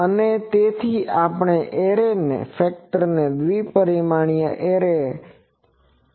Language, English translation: Gujarati, And so, we can rewrite this array factor two dimensional array factor as I 0